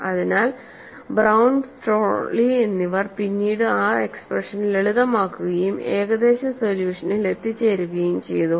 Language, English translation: Malayalam, So, Brown and Strawley, later on, he simplified that expression and arrived at an approximate solution